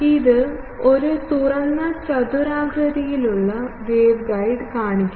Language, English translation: Malayalam, You see this shows an open rectangular waveguide